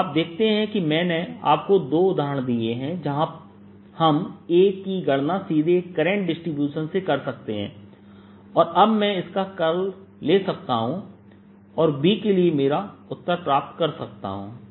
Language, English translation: Hindi, so you see, i've given you two examples where we can calculate a directly from a current distribution, and now i can take its curl and get my answer for b